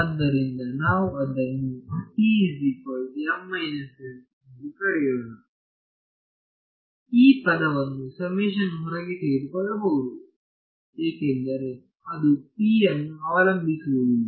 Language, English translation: Kannada, So, this term can be taken outside the summation so, since it does not depend on p right